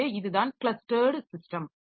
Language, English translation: Tamil, So, this is the clustered system